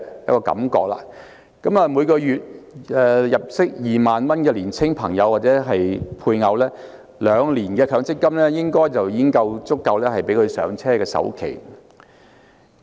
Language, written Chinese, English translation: Cantonese, 以月入2萬元的年輕朋友或配偶而言，兩年強積金應已足夠支付"上車"的首期。, For a young person or a couple with a monthly income of 20,000 the accumulated MPF benefits in two years should be sufficient for making the down payment